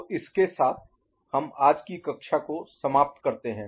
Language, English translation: Hindi, So, with this we conclude today’s class